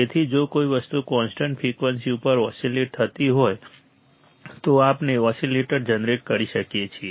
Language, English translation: Gujarati, So, if something is oscillating at a constant frequency, we can generate oscillator